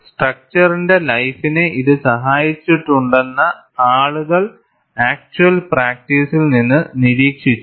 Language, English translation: Malayalam, People have observed from actual practice, that it has helped, the life of the structure